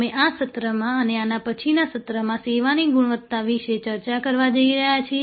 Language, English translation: Gujarati, We are going to discuss in this session and possibly the next session, Services Quality, Service Quality